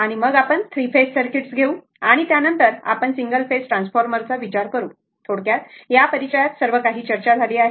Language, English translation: Marathi, And then, we will take that your three phase AC circuits and after that, we will consider single phase transformer and I and in the brief introduction, everything has been discussed